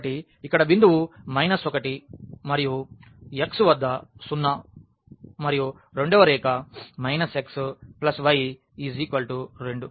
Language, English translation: Telugu, So, this is the point here minus 1 and x at 0 and the second line minus x plus 2 is equal to 2